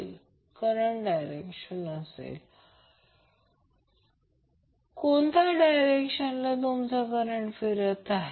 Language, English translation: Marathi, So this thumb direction will show you how and in what direction you are flux is rotating